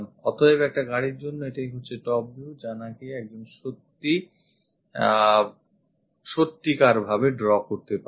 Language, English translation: Bengali, So, this is the top view what one can really draw for a car